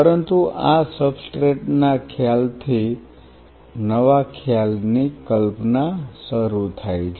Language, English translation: Gujarati, But from this substrate concept starts the concept of a newer concept